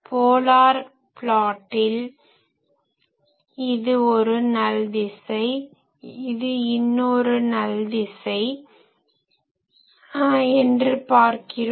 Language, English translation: Tamil, In the polar plot you see this direction is a null this direction is a null